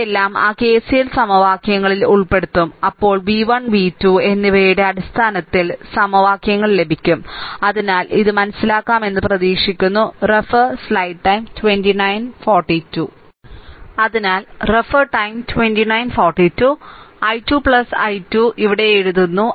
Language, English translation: Malayalam, So, all these things will put in those KCL equations then we will get the equations in terms of v 1 and v 2 so, hope this is understandable